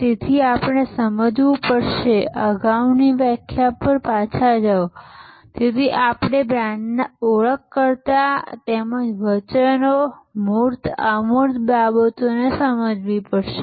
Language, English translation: Gujarati, So, we have to understand therefore, go back to the previous definition, so we have to understand in brand the identifiers as well as the promises, the tangibles as well as the intangibles